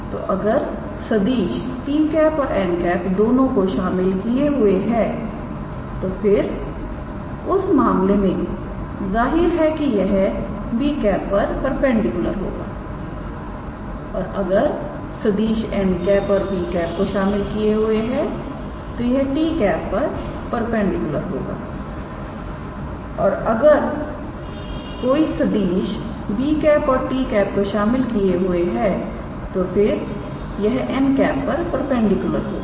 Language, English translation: Hindi, So, if a vector is containing both t and n then in that case it is; obviously, perpendicular to b and if a vector is containing n and b then it will be perpendicular to t and if a vector is containing b and t then it will be perpendicular to n